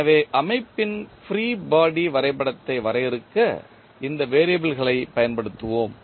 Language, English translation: Tamil, So, we will use these variables to define the free body diagram of the system